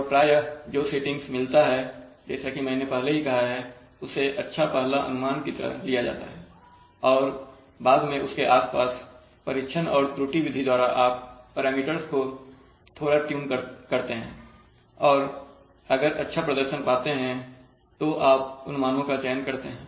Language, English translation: Hindi, And often the settings obtained, so as I have already told that the settings obtained are to be treated as good first estimates and further trial and error after around that you may like to tune little bit and see whether you are getting still better performance than should select those values